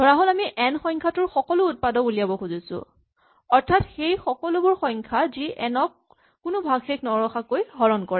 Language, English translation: Assamese, Suppose, we want to find all the factors of a number n, all numbers that divide n without a remainder